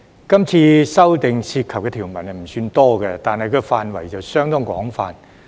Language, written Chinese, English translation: Cantonese, 今次修訂涉及的條文不算多，但範圍相當廣泛。, The amendments this time do not involve many provisions but the scope is quite extensive